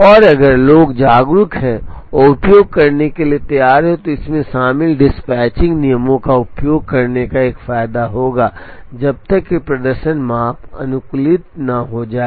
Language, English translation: Hindi, And if people are aware educated and are ready to use, then it will be an advantage to use involved dispatching rules, as long as the performance measure is optimized